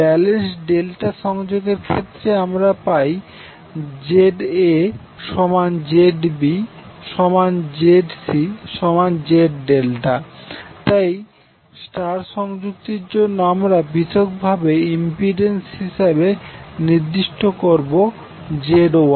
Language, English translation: Bengali, In case of balanced delta connection you will have ZA, ZB, ZC all three same so you can say simply as Z delta, so for star connected we will specify individual legs impedance as ZY